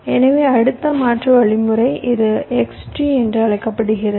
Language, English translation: Tamil, so our next alternate algorithm, this is called x tree